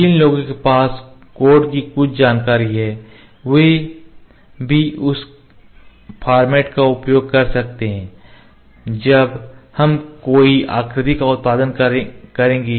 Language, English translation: Hindi, One who has some information of the codes can also use those that format when will produce a shape